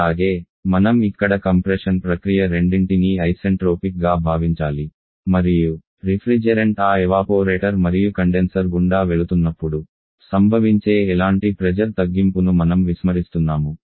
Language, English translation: Telugu, And also, I should at that your assuming both the compression process assuming both the compression process to isentropic and we are neglecting any kind of pressure drop that may takes place when the different passes through that evaporated condenser in heat addition